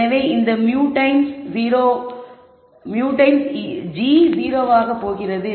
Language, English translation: Tamil, So, we have this mu times g going to be 0